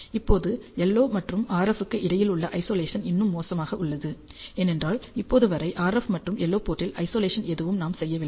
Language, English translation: Tamil, Now, the Isolation between LO and RF is still poor, because right now we have not done anything to Isolate the RF and LO ports